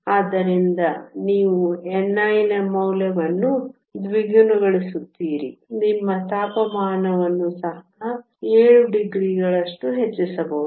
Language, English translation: Kannada, So, you have only doubling the value of n i you need to increase your temperature by 7 degrees